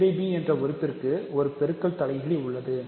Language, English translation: Tamil, So, a by b has a multiplicative inverse